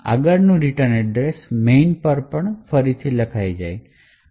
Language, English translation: Gujarati, next the return address to main would also get overwritten